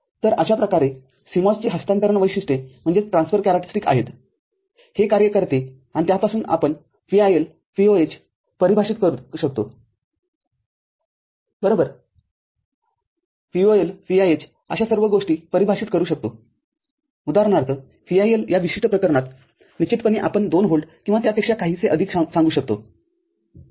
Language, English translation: Marathi, So, this is how the CMOS transfer characteristics it works and from that we can define VIL, VOH, right; VOL, VIH all those things can be defined; for example, VIL in this particular case definitely, we can consider up to say 2 volt or even little bit more than that ok